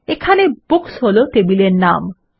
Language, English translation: Bengali, Here Books is the table name